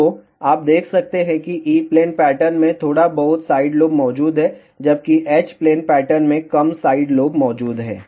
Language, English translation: Hindi, So, you can see that there are little bit of side loops present in the E plane pattern, whereas there are less side loops present in the H plane pattern